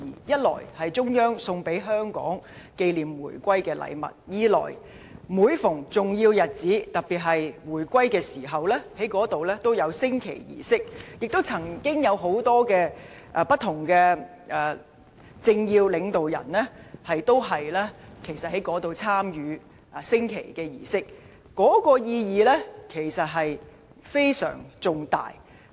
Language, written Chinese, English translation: Cantonese, 一來是中央送給香港紀念回歸的禮物，二來是每逢重要日子，特別是在回歸紀念日，該處都會舉行升旗儀式，有很多政要及領導人，均曾在那裏參與升旗儀式，可見其意義之重大。, Its significance is well known to all . First it is given to Hong Kong by the Central Government to commemorate the reunification; and second on all important occasions especially the Reunification Day the flag - raising ceremony will be held in the Square attended by important political figures and government leaders